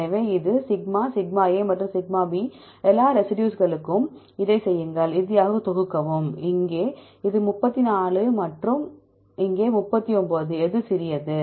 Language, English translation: Tamil, So, this is the σ, σ and σ; do it for all the residues then finally, sum up; here this is a 34 and here is 39 which one is small